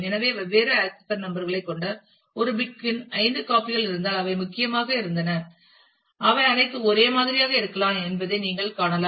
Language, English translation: Tamil, So, you can see that if there are say five copies of a book having different accession numbers which are the key they are has been number would may all be same